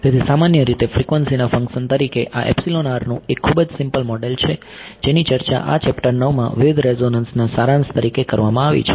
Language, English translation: Gujarati, So, general a very general model of this epsilon r as a function of frequency is what is discussed in this chapter 9 as a summation of various resonances